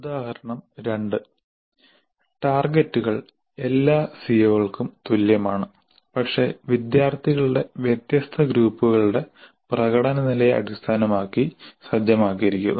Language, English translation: Malayalam, Example 2 targets are the same for all CEOs but are set in terms of performance levels of different groups of students